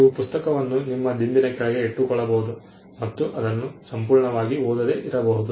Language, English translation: Kannada, You can even keep the book under your pillow and not read it at all perfectly fine